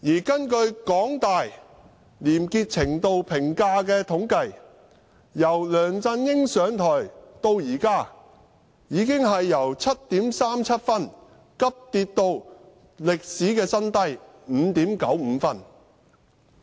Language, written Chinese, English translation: Cantonese, 根據香港大學廉潔程度評價的統計，由梁振英上台到現在，已經由 7.37 分急跌至歷史新低的 5.95 分。, And according to the Appraisal of Degree of Corruption - free Practices conducted by the Public Opinion Programme of the University of Hong Kong the rating has plummeted from 7.37 when LEUNG Chun - ying took office to a new record low of 5.95 now